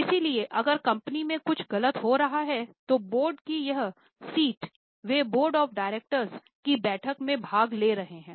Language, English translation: Hindi, So, if something is wrong in the happening in the company, they sit on the board, they are attending board of directors meeting